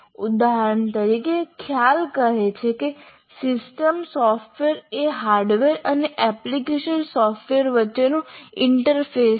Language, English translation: Gujarati, For example, system software is an interface between hardware and application software